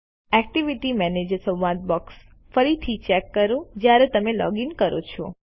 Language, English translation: Gujarati, Check the Activity Manager dialog box again when you login